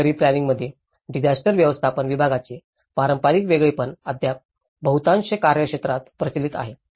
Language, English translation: Marathi, Traditional separation of the departments of disaster management in urban planning is still prevalent in most jurisdictions